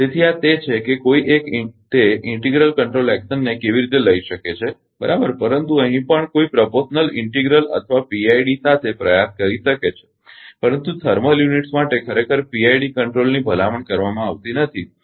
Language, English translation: Gujarati, So, this is actually how one can take that integral control action right, but here also 1 can try with proportional integral or PID, but for thermal thermal units actually PID control is not recommended, right